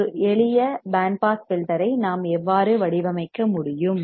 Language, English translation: Tamil, So, this is how we can design the band pass filter